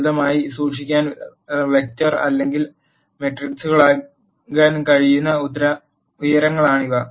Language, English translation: Malayalam, These are the heights which can be a vector or matrices to keep it simple